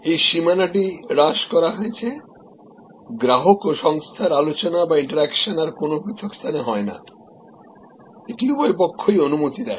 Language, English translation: Bengali, So, this boundary is defused, it is customer company interaction no longer that takes place in a distinct space, it permits on both sides